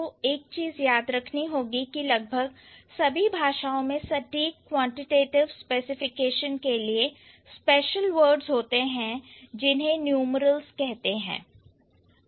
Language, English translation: Hindi, Almost so one thing you need to remember here almost all languages have special words for more precise quantitative specification that is called numerals